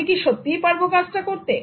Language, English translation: Bengali, Can you really do this